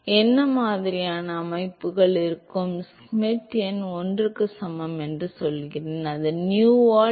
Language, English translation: Tamil, what kind of systems will have: I am saying that Schmidt number equal to 1 which is nu by D